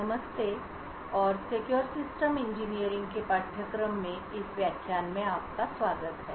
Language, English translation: Hindi, Hello and welcome to this lecture in the course for Secure Systems Engineering